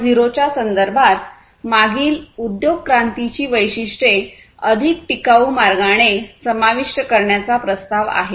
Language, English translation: Marathi, 0 the proposition is to include the characteristics of previous industry revolution in a much more sustainable way